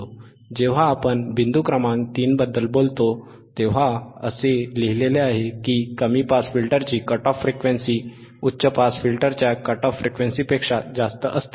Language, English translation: Marathi, So, the cut off frequency point number 3 let us see, the cut off frequency or corner frequency of the low pass filter is higher than the cut off frequency then the cut off frequency of the high pass filter, alright